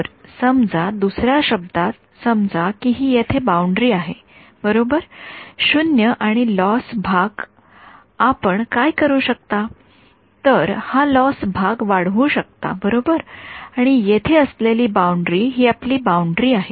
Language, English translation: Marathi, So, in other words supposing this is the boundary over here right 0 and the loss part what you can do is you can increase the loss part like this right and the boundary sitting here this is your boundary